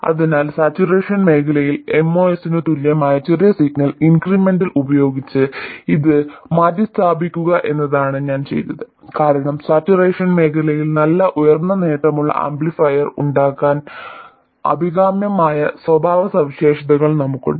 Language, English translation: Malayalam, So, what I have done is to replace this with the small signal incremental equivalent of moss in saturation region, because in saturation region we have the characteristics which are desirable to make a good high gain amplifier